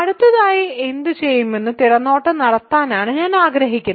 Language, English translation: Malayalam, So, this is just a preview of what I will do next